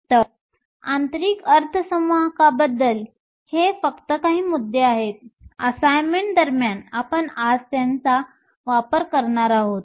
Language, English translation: Marathi, So, these are just a few points about intrinsic semiconductor; we will be using them today during the course of the assignment